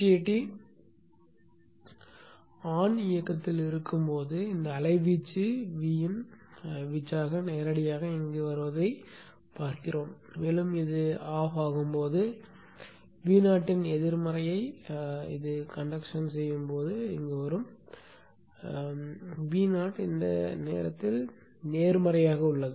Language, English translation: Tamil, Now when the BJT is on we expect to see this amplitude to be V in amplitude coming directly here and when this is off diode is conducting negative of V0 will come in here because V0 is positive at this point